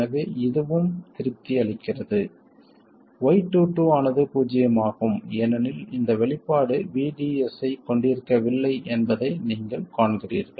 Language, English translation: Tamil, So, this is also satisfied, right, Y22 is 0 because you see that this expression does not contain VDS